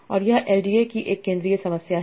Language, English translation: Hindi, But what is the main problem of LDA